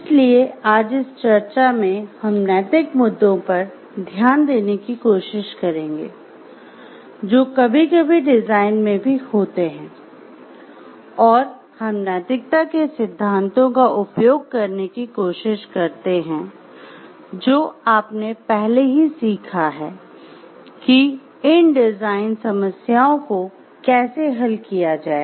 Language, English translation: Hindi, So, in this discussion we will try to look into the; in this discussion we will try to look into the ethical issues, which are sometimes there in engineering, in design also and we try to use the theories of ethics that is already learned in how to solve this design problems